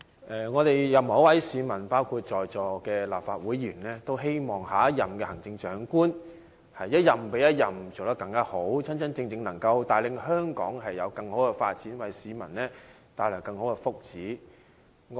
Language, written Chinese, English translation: Cantonese, 任何一位市民，包括在座的立法會議員，均希望行政長官能一任比一任做得好，真正帶領香港作更好的發展，為市民謀求更大福祉。, I think all people in Hong Kong including the Members present here hope that every Chief Executive can outperform his or her predecessors really act as Hong Kongs leader in the pursuit of better development and seek greater benefits for Hong Kong people